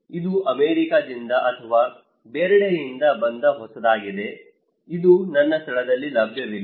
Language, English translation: Kannada, Because this is a new came from America or somewhere else, this is not available in my place